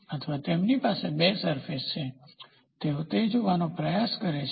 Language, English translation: Gujarati, So, or they have two surfaces looking at the surface, they try to do it